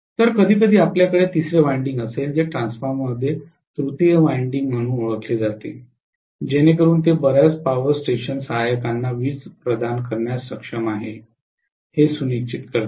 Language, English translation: Marathi, So sometimes we will have a third winding which is known as tertiary winding in a transformer to make sure that it is able to provide the power for many of the power station auxiliaries